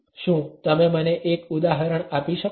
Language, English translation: Gujarati, Can you give me one example